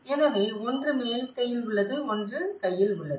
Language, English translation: Tamil, So, one is on upper hand and one is on the taking hand